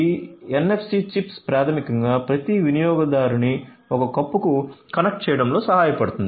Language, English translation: Telugu, So, this NFC chips basically helps in connecting each user to a cup